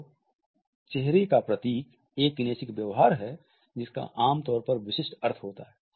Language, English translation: Hindi, So, facial emblem is a kinesic behavior that usually has a very specific meaning